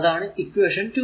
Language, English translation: Malayalam, So, equation 2